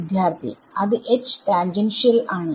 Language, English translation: Malayalam, Yeah that is the H tangential